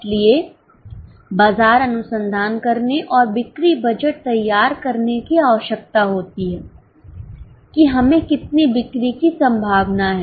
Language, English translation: Hindi, So, one needs to do market research and prepare a sales budget as to how much we are likely to sell